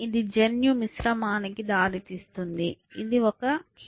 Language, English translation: Telugu, Leads to genetic mixing, this is a key